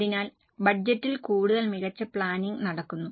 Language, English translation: Malayalam, So, much better planning happens in budget